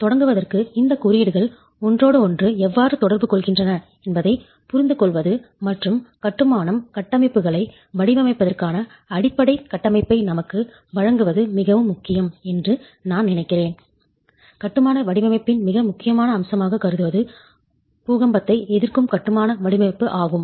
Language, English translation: Tamil, So, to begin with, I think it's very important to understand how these codes interact with each other and give us the basic framework for design of masonry structures, considering probably the most important aspect of structural design, which is the earthquake resistant design of masonry